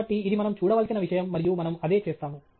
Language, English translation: Telugu, So, that’s the thing that we need to look at and we will do that